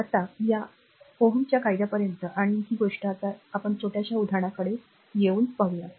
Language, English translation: Marathi, Now, up to this your Ohm’s law and this thing let us come now to a small example, right